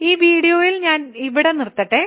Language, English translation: Malayalam, So, let me stop this video here